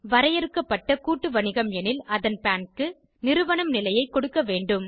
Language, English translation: Tamil, In case of Limited Liability Partnership, the PAN will be given a Firm status